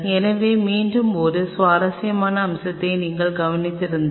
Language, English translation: Tamil, So, again if you noticed one interesting aspect